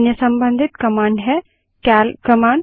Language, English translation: Hindi, Another related command is the cal command